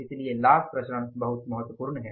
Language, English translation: Hindi, So, profit variances are very, very important